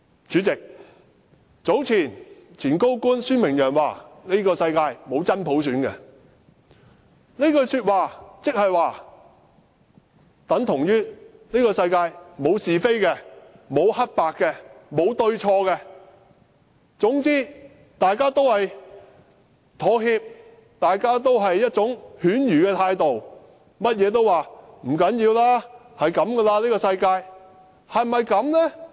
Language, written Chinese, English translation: Cantonese, 主席，早前前高官孫明揚說，這個世界沒有真普選，這句話等同這個世界沒有是非，沒有黑白，沒有對錯，總之大家要妥協，大家要用犬儒的態度，甚麼事情也說不要緊，這個世界便是這樣子。, President Michael SUEN a former senior public officer said earlier that there was no genuine universal suffrage in the world . He is actually saying that there is no right and wrong in this world; everyone should make compromises and be cynical; and nothing matters because this is just the way the world is